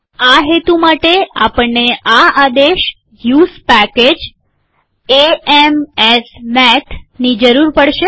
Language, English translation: Gujarati, For this purpose, we will need the command, use package a m s math